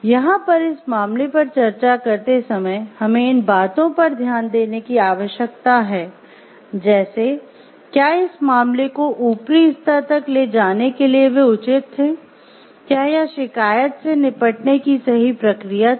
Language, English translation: Hindi, So, here while discussing the case also we need to focus on these things; like, where they justified in taking up the case to the upper levels were the process of grievance handling done properly